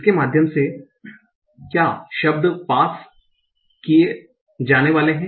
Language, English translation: Hindi, What are the words that will be passed through this